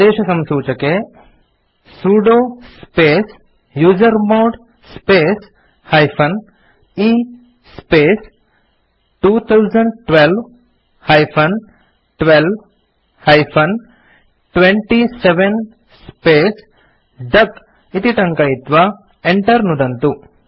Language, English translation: Sanskrit, Here at the command prompt type sudo space usermod space e space 2012 12 27 space duck and press Enter